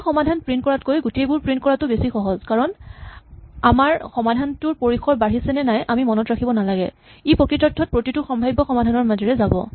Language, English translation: Assamese, Actually it is much simpler to print all solutions than it is print a single solution because we do not have to remember whether our solution extends or not it is really running through every possible solution